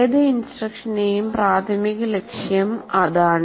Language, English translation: Malayalam, That is the major goal of any instruction